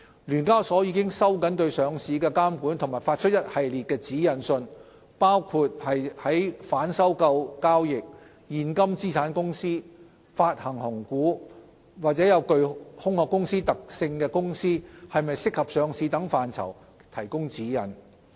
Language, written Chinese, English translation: Cantonese, 聯交所已收緊對上市的監管及發出一系列指引信，包括在反收購交易、現金資產公司、發行紅股、具"空殼"公司特性的公司是否適合上市等範疇提供指引。, SEHK has tightened its listing regulation and issued a number of guidance letters including guidance on reverse takeover transactions; cash companies; bonus issues of shares; and suitability of listing related to companies exhibiting shell characteristics